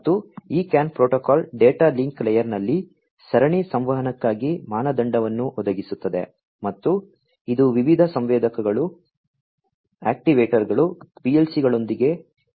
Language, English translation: Kannada, And, this CAN protocol provides a standard for serial communication in the data link layer and it links different sensors, actuators, with PLCs and so on